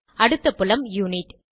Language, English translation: Tamil, Next field is Unit